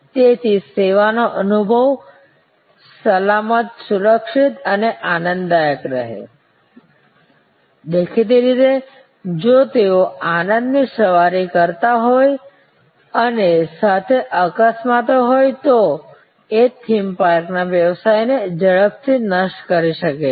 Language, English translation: Gujarati, So, that the service experience is safe, secure and pleasurable it is; obviously, if they have although joy rides and there are accidents that can destroy a theme park business right fast